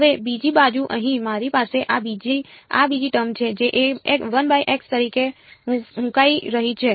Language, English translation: Gujarati, Now on the other hand over here I have this other this second term over here which is blowing up as 1 by x